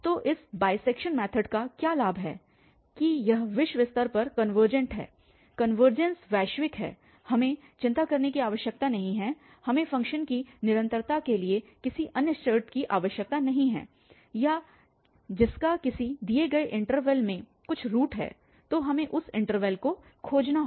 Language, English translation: Hindi, So, what is the advantage of this bisection method that it is globally convergent, the convergence is global we do not have to worry, we do not need any other condition then to have this continuity of the function and which has some root in a given interval so we have to find that interval